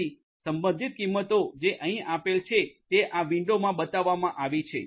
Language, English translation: Gujarati, So, the corresponding values that are given over here are shown in this particular window